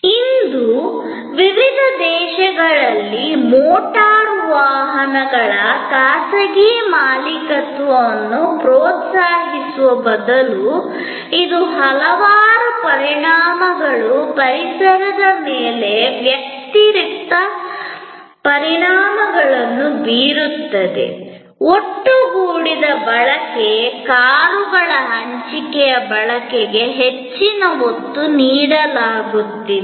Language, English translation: Kannada, In various countries today instead of encouraging private ownership of motor vehicles, which has number of impacts, adverse impacts on the environment, there is an increasing emphasize on pooled usage, shared usage of cars